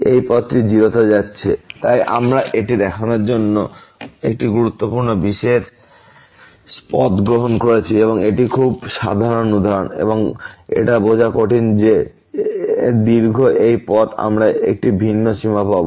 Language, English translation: Bengali, This path is going to 0 so, we have taken a very special path to show this is a very typical example and difficult to realize that a long this path we will get a different limit